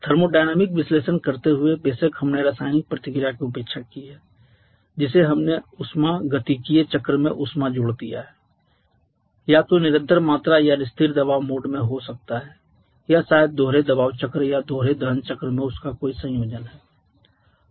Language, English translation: Hindi, While performing a thermodynamic analysis of course we have neglected the chemical reaction we have assumed the heat addition in the thermodynamic cycle to be either in constant volume or constant pressure mode or maybe any combination of them in the dual pressure cycle or dual combustion cycle